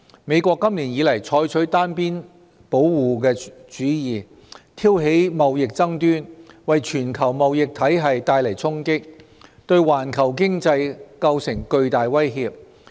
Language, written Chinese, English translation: Cantonese, 美國今年以來採取單邊保護主義，挑起貿易爭端，為全球貿易體系帶來衝擊，對環球經濟構成巨大威脅。, This year the United States has adopted unilateralism triggering trade conflicts dealing a blow to trading entities around the world and posing an enormous threat to the global economy